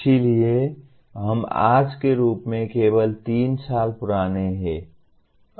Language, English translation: Hindi, So we are only about 3 years old as of today